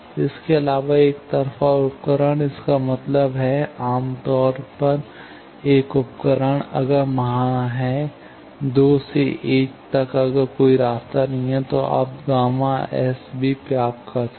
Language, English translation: Hindi, Also, unilateral device; that means, generally, a device, if there is, from 2 to 1 if there is no path, then you can also get gamma IN